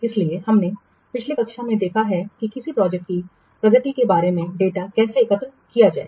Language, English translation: Hindi, So we have seen last class how to collect the data about the progress of a project